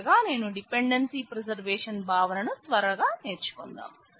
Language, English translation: Telugu, Finally, let me quickly go over the dependency preservation concept